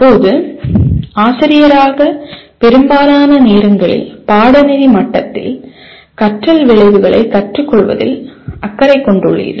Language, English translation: Tamil, Now, most of the time as a teacher, you are concerned with learning outcomes at the course level